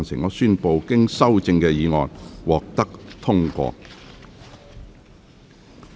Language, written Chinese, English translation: Cantonese, 我宣布經修正的議案獲得通過。, I declare the motion as amended passed